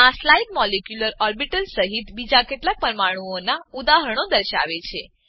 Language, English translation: Gujarati, This slide shows examples of few other molecules with molecular orbitals